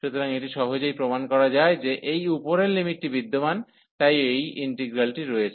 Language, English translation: Bengali, So, it can easily be proved that this above limit exist, so or this integral exist